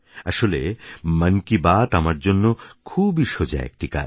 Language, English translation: Bengali, Actually, Mann Ki Baat is a very simpletask for me